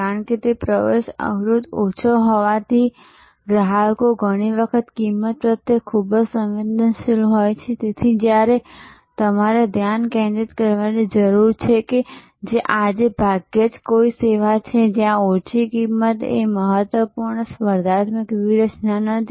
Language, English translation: Gujarati, Because, as the entry barrier is low and customers are often quite price sensitive therefore, you need to stay focused that is hardly any service today, where low cost is not an important competitive strategy